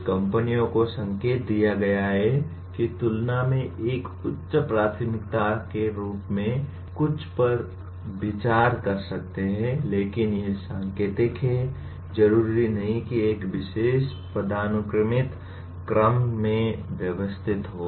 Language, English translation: Hindi, Some companies may consider something as a higher priority than what is indicated but these are indicative, not necessarily arranged in a particular hierarchical order